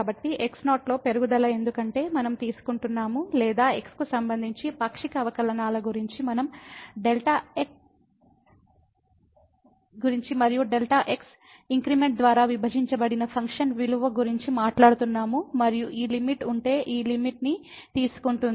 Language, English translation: Telugu, So, the increment in because we are taking or we are talking about the partial derivatives with respect to x and the function value divided by the delta increment and taking this limit if this limit exists